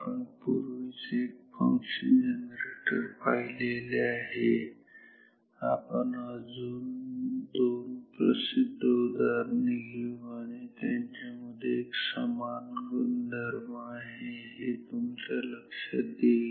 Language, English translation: Marathi, We have seen one function generator, we shall take of couple of more examples popular examples and you shall see that there is a common underlying similarity in all these circuits